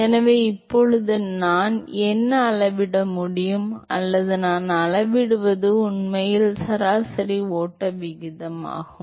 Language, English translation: Tamil, So, now, what I can measure or what I would measure is actually the average flow rate